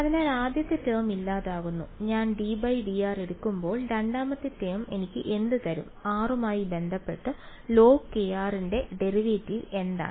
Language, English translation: Malayalam, So the first term goes away, when I take the d by d r second term will give me what, what is the derivative of log k r with respect to r